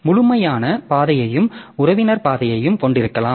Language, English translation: Tamil, So, we can have absolute path and relative path